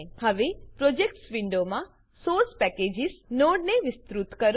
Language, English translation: Gujarati, Now in the Projects window, expand the Source Packages node